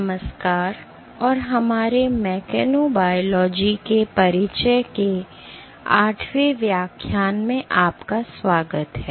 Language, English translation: Hindi, Hello and welcome to our 8th lecture of introduction to mechanobiology